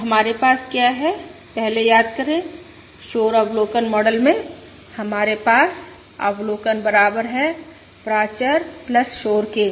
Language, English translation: Hindi, So what we have see, remember previously, in the noisy observation model we have the observation equals parameter plus noise